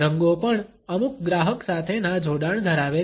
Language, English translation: Gujarati, Colors also have certain customary associations